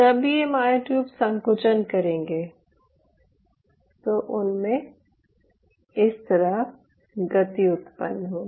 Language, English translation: Hindi, now these myotubes, while will contract, will generate a motion like this